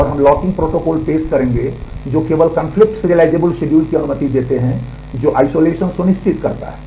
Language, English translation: Hindi, And we will present locking protocols that allow only conflict serializable schedule which ensures isolation